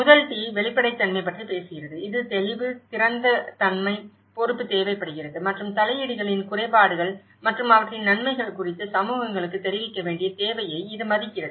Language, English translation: Tamil, The first T talks about the transparency which requires clarity, openness, accountability and it respects a need for communities to be informed about the drawbacks of interventions as well as their benefits